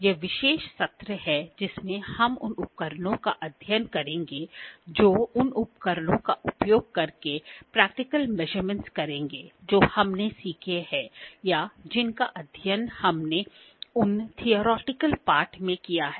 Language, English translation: Hindi, This is the special session wherein we will study the instruments will do the practical measurements using the instruments that we have learned or that we have studied in those theoretical part